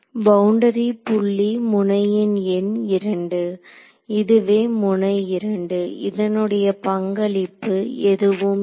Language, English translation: Tamil, So, boundary point node number 2 this is node 2 that has no contribution